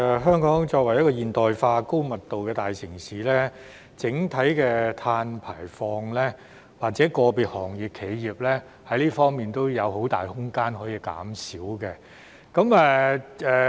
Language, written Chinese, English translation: Cantonese, 香港作為現代化，高密度的大城市，整體的碳排放，以至個別行業或企業在這方面也有很大的減排空間。, In Hong Kong being a modernized densely - populated metropolis there is considerable room for the overall carbon emissions to be reduced and also for individual industries or enterprises to reduce their carbon emissions